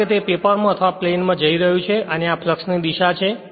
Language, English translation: Gujarati, Because it is going into the paper right or in to the plane and this is the direction of the flux